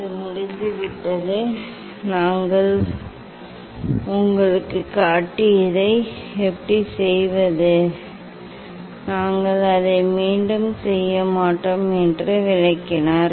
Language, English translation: Tamil, that is done and how to do that we have showed you, explained you we will not repeat it